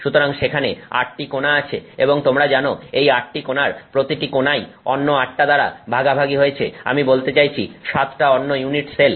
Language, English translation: Bengali, So, there are 8 corners and each of these corners is shared by eight other, you know, I mean seven other unit cells